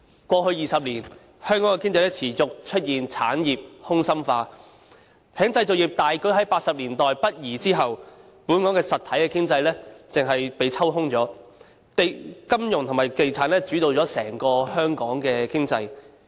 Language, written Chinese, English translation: Cantonese, 過去20年，香港的經濟持續出現產業空心化，在製造業大舉於1980年代北移後，本港的實體經濟便被抽空了，金融與地產繼而主導了整個香港經濟。, Over the past 20 years the Hong Kong economy has faced the persistent hollowing out of industries . Since the massive northward shift of our manufacturing industries in the 1980s our real economy has been completely hollowed out . The financial and property development industries have come to dominate the Hong Kong economy